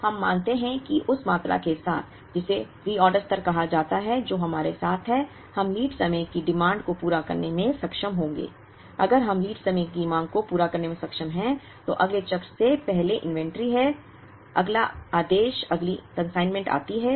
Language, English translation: Hindi, Now, we assume that with the quantity which is called the reorder level, which is with us, we will be able to meet the lead time demand, if we are able to meet the lead time demand, there is inventory before the next cycle, next order, next consignment comes